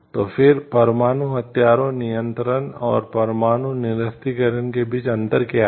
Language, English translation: Hindi, So, then what is the difference between nuclear arms control and nuclear disarmament